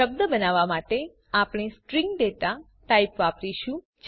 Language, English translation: Gujarati, To create a word, we use the String data type